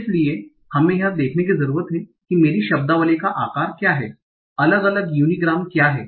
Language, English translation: Hindi, So we need to see what is my vocabulary size, what are different unigrams